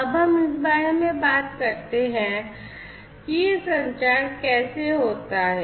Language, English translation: Hindi, Now, let us talk about how this communication happens